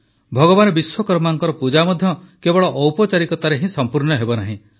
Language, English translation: Odia, The worship of Bhagwan Vishwakarma is also not to be completed only with formalities